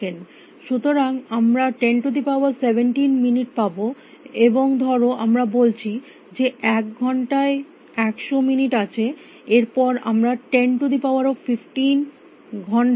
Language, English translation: Bengali, So, we will have 10 is to 17 minutes, and let us say there are 100 minutes in an hour then, we have 10 is to 15 hours